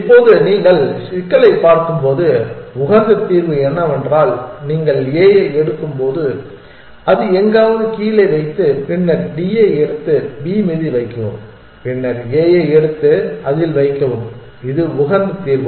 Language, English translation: Tamil, Now, when you look at the problem you can see that the optimal solution is when you pick up a put it down somewhere, then pick up D, put it on B then pick up a and put it on that is optimal solution